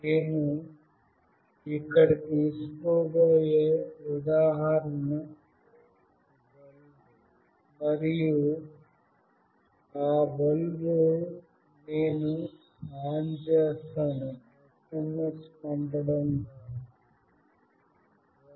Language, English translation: Telugu, The example that I will be taking here is a bulb, and that bulb I will switch on by sending an SMS